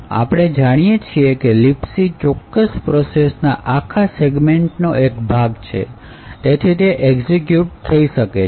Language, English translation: Gujarati, So, as we know LibC is part of the whole segment of the particular process and therefore it can execute